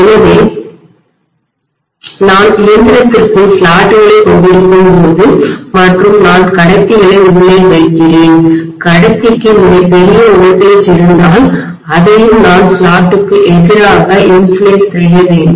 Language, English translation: Tamil, So when I have slots within the machine and I put conductors inside if the conductor is having extremely large voltage I have to insulate it against the slots as well